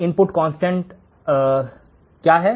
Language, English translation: Hindi, The input is constant